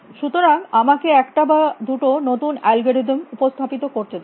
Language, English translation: Bengali, So, let me introduce one new algorithm or two new algorithms